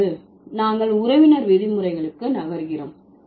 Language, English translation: Tamil, Now, we are moving to the kinship terms